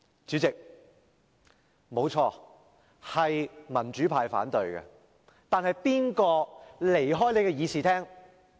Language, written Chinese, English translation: Cantonese, 主席，不錯，方案是由民主派反對的，但誰離開會議廳？, President it is true that the package was voted down by the pro - democracy camp but who left the Chamber?